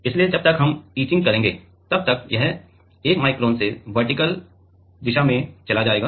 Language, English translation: Hindi, So, by the time we etch it will go in the vertical direction by 1 micron